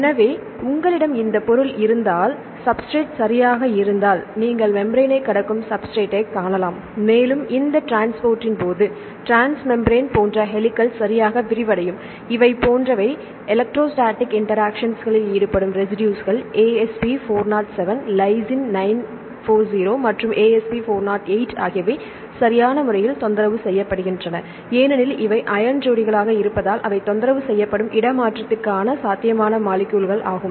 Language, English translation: Tamil, So, if you have this substance here right if the substrate is here right you can see the substrate you cross the membrane and the during this transport this transmembrane helix like transmembrane will extend right these are the residues which are involved in the electrostatic interactions like the Asp 407 and Lys 940 and Asp 408, they are disturbed right because these are the ion pairs are possible candidates for the translocation they are disturbed